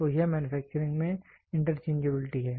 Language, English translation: Hindi, So, that is the interchangeability in manufacturing